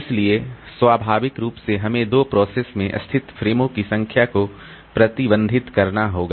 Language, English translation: Hindi, So, naturally we have to restrict the number of frames allocated to processes